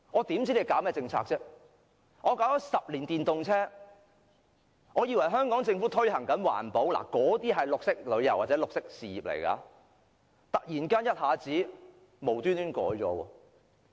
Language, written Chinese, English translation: Cantonese, 電動車推出了10年，當我們以為政府推行環保，推動綠色旅遊或綠色事業時，司長卻突然一下子無緣無故取消優惠。, Electric vehicles have been put on sale in the market for 10 years . At a time when we thought that the Government has all along advocated environmental protection and promoted green tourism or green industries the Financial Secretary suddenly abolishes the concession for no reason